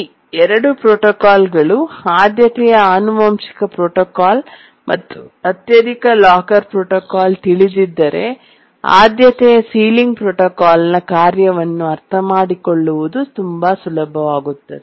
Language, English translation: Kannada, And if we know the two protocols, the priority inheritance protocol and the highest locker protocol, then it will become very easy to understand the working of the priority sealing protocol